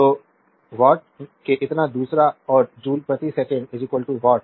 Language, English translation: Hindi, So, this much of watt second and joule per second is equal to watt